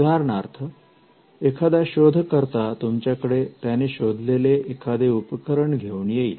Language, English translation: Marathi, Say, an inventor walks into your room with this gadget which he has newly invented